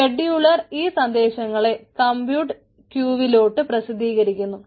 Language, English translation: Malayalam, scheduler publishes message to the compute queues